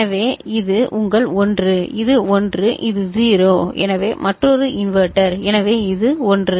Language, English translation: Tamil, So, this is your 1 ok, this is 1, this is 0 so another inverter, so this is 1